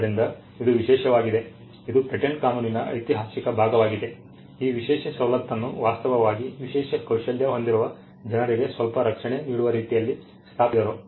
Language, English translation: Kannada, So, this is exclusive this is the historical part of patent law, this exclusive privilege actually came in a way in which some protection was granted to people with special skills